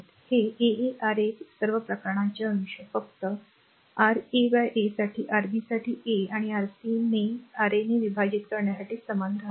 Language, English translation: Marathi, This R 1 R 2 R 2 R 3 all the case numerator is remain same only for Ra divided by R 1 for Rb divided by R 2 and for Rc divided by R 3 right